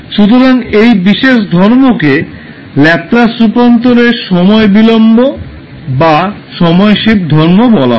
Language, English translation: Bengali, So this particular property is called time delay or time shift property of the Laplace transform